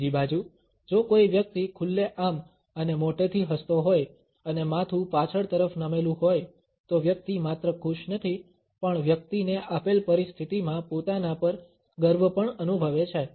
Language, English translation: Gujarati, On the other hand, if a person is smiling openly and broadly and the head was backward tilt then the person is not only pleased, but the person is also proud of oneself in the given situation